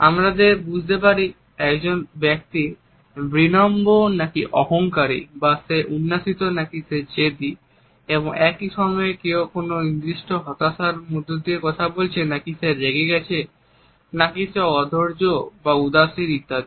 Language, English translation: Bengali, We can make out whether a particular individual is humble or arrogant or is being condescending or too demanding etcetera and at the same time, whether one is talking under certain depression or is in angry mode whether one is impatient or indifferent etcetera